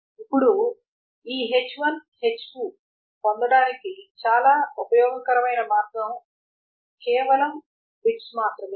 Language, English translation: Telugu, Now one very useful way of what getting this H1 H2 is just the bits